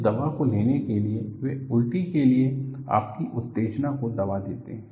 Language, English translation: Hindi, In order to take that medicine, they suppress your sensation for vomiting